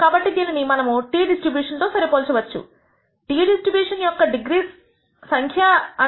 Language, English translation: Telugu, So, we can now compare this with this t distribution, the number of degrees of the t distribution happens to be N 1 plus N 2 minus 2